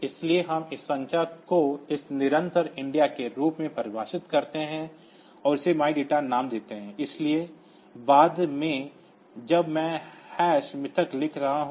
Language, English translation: Hindi, So, we define first this number this constant India and give it the name my data so later on when this when I am writing hash my data